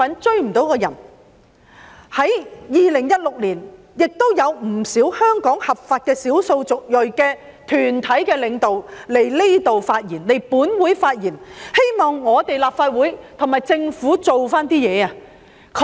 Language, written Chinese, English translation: Cantonese, 在2016年，有不少在香港合法的少數族裔團體的領導來到立法會發言，希望我們和政府做一點工夫。, In 2016 the leaders of a number of lawful ethnic minority groups in Hong Kong came to the Legislative Council to express views